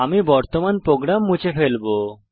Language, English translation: Bengali, I will clear the current program